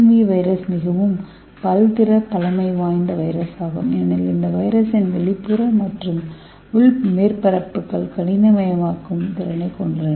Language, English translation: Tamil, So this TMV virus is the highly versatile virus because it has the external surface and internal surface and both the external surface and the internal surface it has the capacity to mineralize okay